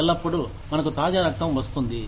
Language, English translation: Telugu, When, we get fresh blood in